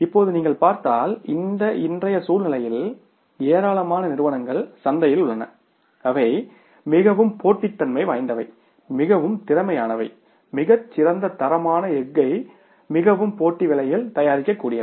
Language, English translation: Tamil, But now if you talk today's scenario, number of companies are there in the market who are very, very competitive, who are very, very efficient, who are able to manufacture very good quality of the steel at a very competitive prices